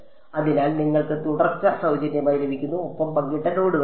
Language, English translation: Malayalam, So, you get continuity for free, beta and gamma are shared nodes